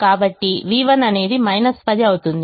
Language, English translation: Telugu, therefore v one becomes minus ten